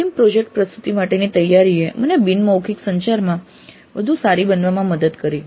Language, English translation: Gujarati, Preparation for the final project presentation helped me become better at non verbal communication as a part of the communication skills